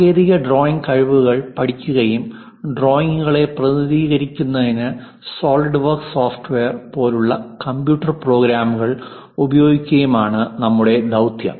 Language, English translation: Malayalam, The mission is to learn technical drawing skills and also use computers for example, a SOLIDWORKS software to represent drawings